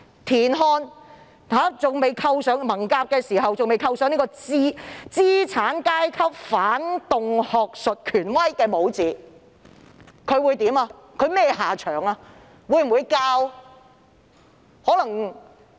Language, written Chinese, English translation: Cantonese, 如果田漢在文革期間未被扣上"資產階級反動學術權威"的帽子，他會有甚麼下場？, If TIAN Han was not tagged with the label bourgeois reactionary academic authority during the Cultural Revolution what would happen to him?